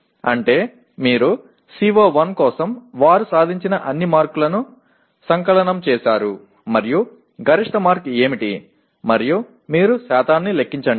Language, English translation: Telugu, That is you add up all the marks they have obtained for CO1 and what is the maximum mark and you compute the percentage